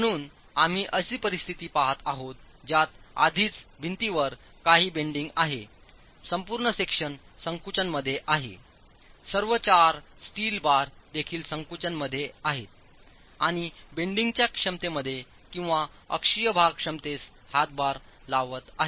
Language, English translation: Marathi, So, we are looking at a situation where there is already some bending in the wall, entire section is in compression, all the four steel bars are also in compression and contribute to the moment capacity or the axle load capacity